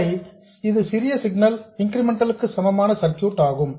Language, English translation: Tamil, So, this is the small signal incremental equivalent circuit